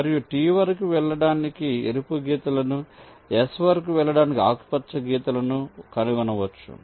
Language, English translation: Telugu, we can trace the red lines to go up to t, we can trace the green lines to go up to s